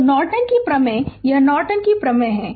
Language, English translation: Hindi, So, Norton’s theorem this is Norton’s theorem